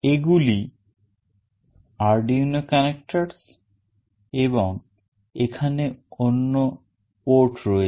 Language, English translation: Bengali, These are the Arduino connectors and there are many other ports